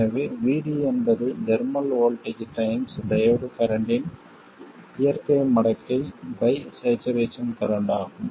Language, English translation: Tamil, So, VD will be the thermal voltage times the natural logarithm of the diode current by the saturation current